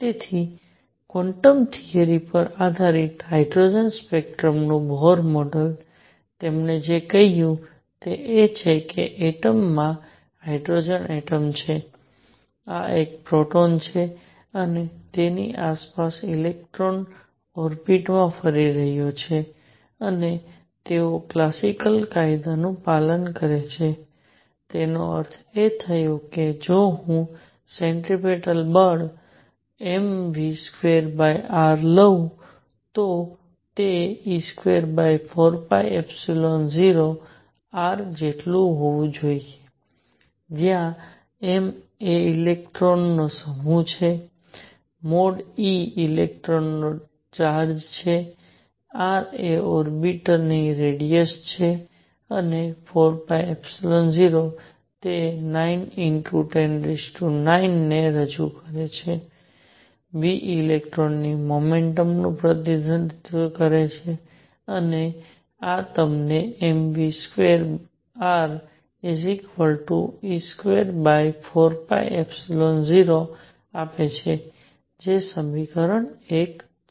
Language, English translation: Gujarati, So, Bohr model of hydrogen spectrum based on quantum theory; what he said is that in an atom, there is a hydrogen atom, this is a proton around which an electron is going around in orbits and they follow classical law; that means, if I were to take the centripetal force m v square over r, it should be equal to 1 over 4 pi epsilon 0 e square over r where m is the mass of electron e; mod e is charge of electron, r is the radius of this orbit and 4 pi epsilon 0 represents that constant 9 times 10 raise to 9, v, the speed of electron and this gives you m v square r equals e square over 4 pi epsilon 0 that is equation 1